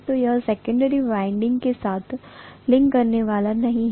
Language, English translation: Hindi, So it is not going to link with the secondary winding